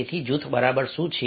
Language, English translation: Gujarati, so what exactly is the group